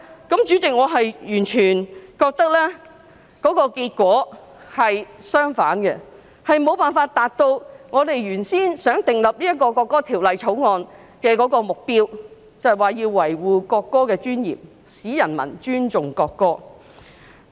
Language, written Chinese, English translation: Cantonese, 代理主席，我完全覺得結果是相反的，亦無法達到訂立《條例草案》的原意，亦即維護國歌的尊嚴，使人民尊重國歌。, Deputy Chairman I really think that the result is just the opposite and it would be impossible to achieve the original intent of enacting the Bill and that is to preserve the dignity of the national anthem and inspire public respect for the national anthem